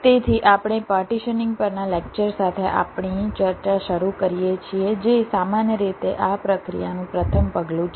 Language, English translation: Gujarati, so we start our discussion with a lecture on partitioning, which is usually the first step in this process